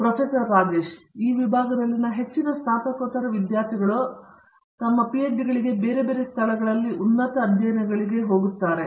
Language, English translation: Kannada, Most of the masters students in this department go for their PhD's in higher studies at different places